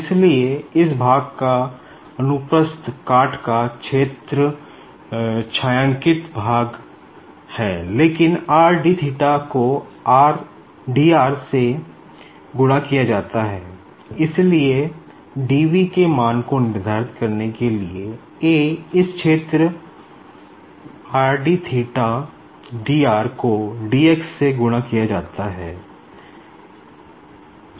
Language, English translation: Hindi, So, the cross sectional area of this part is shaded part and it is nothing but is your r d theta multiplied by dr and so, to determine the volume that is your dv, what we do is, this area r d theta dr multiplied by dx